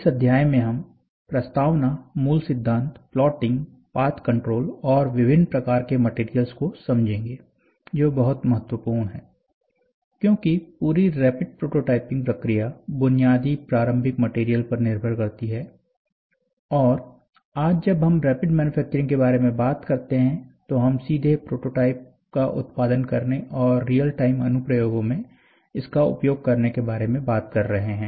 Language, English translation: Hindi, In this chapter, we will see introduction, basic principles, plotting and path control, different types of materials, which is very important because the entire rapid prototyping process depends upon the basic starting material and today when we talk about rapid manufacturing, we are talking about directly producing the prototype and using it in the real time applications